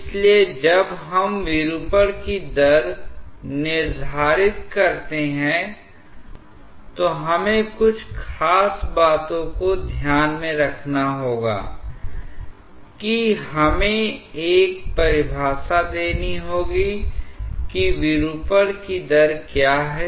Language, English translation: Hindi, So, when we quantify the rate of deformation, we have to keep certain thing in mind that we have to give a definition to what is rate of deformation